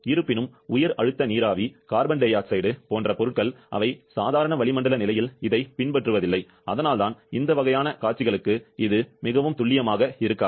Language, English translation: Tamil, However, substances like high pressure steam, carbon di oxide, interference, they hardly follow this one under normal atmospheric condition and that is why we this one may not be most accurate for those kind of scenarios